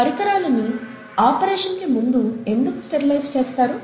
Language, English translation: Telugu, Why are instruments sterilized before an operation